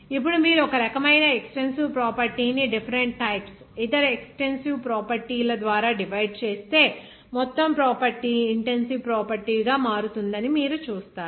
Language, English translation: Telugu, Now, if you divide one type of extensive property by different types of other expensive properties, you will see that property as a whole will become an intensive property